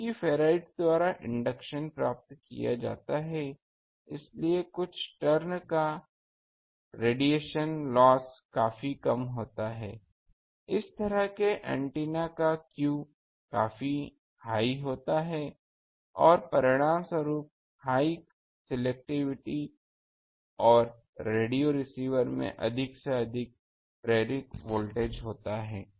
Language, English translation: Hindi, Because inductance is obtained by ferrite the loss resistance of few tones is quite small thus the q of such antennas is quite high and results in high selectivity and greater induced voltage at the radio receiver